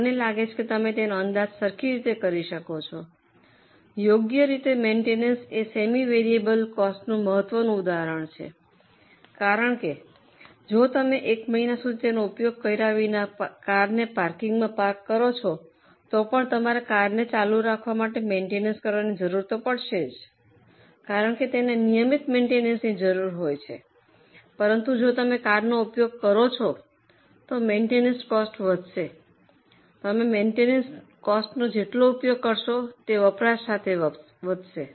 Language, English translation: Gujarati, Maintenance is an important example of semi variable cost because even if you park the car in the parking lot without using it for whole month you will need some maintenance just to keep the car in a running condition it requires regular maintenance but if you use the car the maintenance cost goes up and more and more the use the maintenance costs will also increase with usage